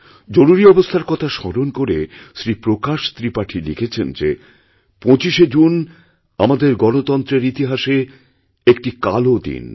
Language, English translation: Bengali, Shri Prakash Tripathi reminiscing about the Emergency, has written, presenting 25thof June as a Dark period in the history of Democracy